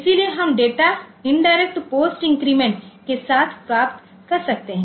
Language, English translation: Hindi, So, we can have this data indirect with post increment